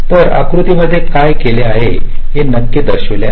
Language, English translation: Marathi, so this is shown in this diagram, exactly what you have worked out